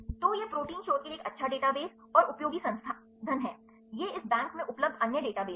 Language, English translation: Hindi, So, it is a good database and useful resource right for the protein researches, these are other databases available in this bank